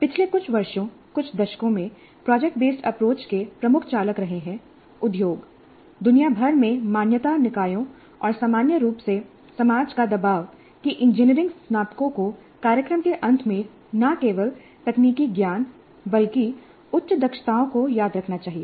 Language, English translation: Hindi, Now the key drivers for project based approach over the last few years, couple of decades, have been pressure from industry, accreditation bodies worldwide and society in general that engineering graduates must demonstrate at the end of the program not just memorized technical knowledge but higher competencies